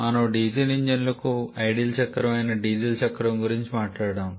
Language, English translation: Telugu, We have talked about the diesel cycle which is ideal cycle for diesel engines